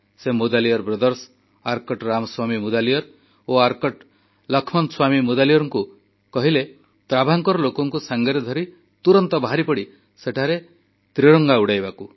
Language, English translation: Odia, He urged the Mudaliar brothers, Arcot Ramaswamy Mudaliar and Arcot Laxman Swamy Mudaliar to immediately undertake a mission with people of Travancore to Lakshadweep and take the lead in unfurling the Tricolour there